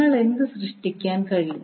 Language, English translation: Malayalam, So what you can create